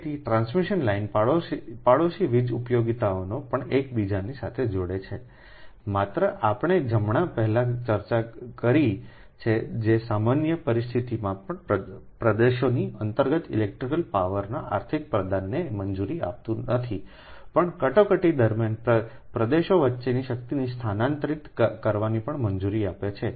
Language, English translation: Gujarati, right, so transmission line also interconnect neighboring power utilities just we have discussed before right, which allows not only economic dispatch of electrical power within regions during normal conditions, but also transfer of power between regions during emergencies, right